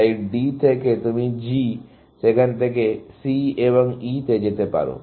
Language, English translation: Bengali, So, from D, you can go to G to C and to E